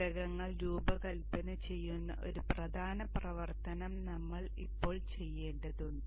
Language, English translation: Malayalam, We now have to do one important activity which is designing the components